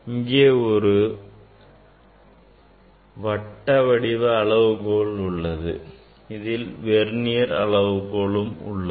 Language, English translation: Tamil, Now, here there is a scale circular scale there is a Vernier